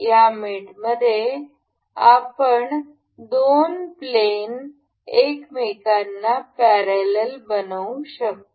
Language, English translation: Marathi, In this mate we can make two planes a parallel to each other